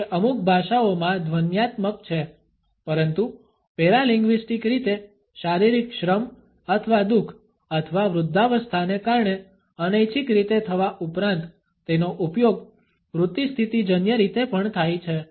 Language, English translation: Gujarati, It is phonological in certain languages but paralinguistically also besides being caused involuntarily by physical exertion or pain or old age for that matter, it is also used in an attitudinal manner